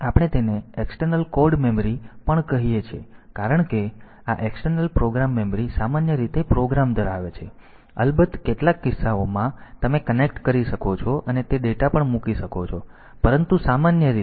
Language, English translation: Gujarati, So, we also call it external code memory because this external program memory is generally holding the program of course, in some cases you can connect you and put the data they are as well, but for general generally